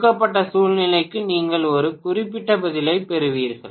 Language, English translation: Tamil, For a given situation you will get one particular answer